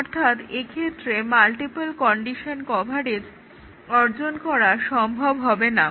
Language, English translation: Bengali, So, multiple condition coverage would not be possible to achieve for this case